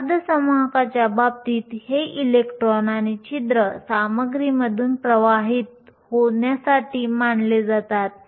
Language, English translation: Marathi, In the case of a semi conductor these electrons and holes are set to drift through the material